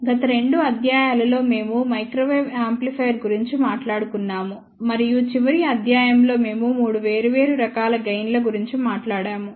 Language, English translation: Telugu, In the last 2 lectures, we have been talking about Microwave Amplifier and in the last lecture, we talked about 3 different types of the gain